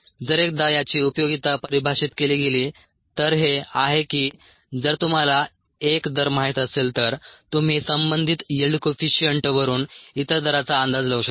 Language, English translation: Marathi, the usefulness of this, once it is defined, is that if you know one rate, you could estimate the other rate from the relevant yield coefficient